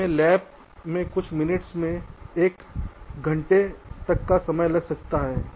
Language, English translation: Hindi, it can take minutes to an hour may be in the lab